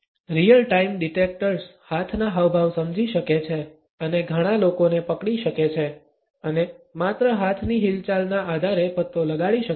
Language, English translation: Gujarati, Real time detectors can understand hand gestures and track multiple people and make detections on the basis of the hand movements only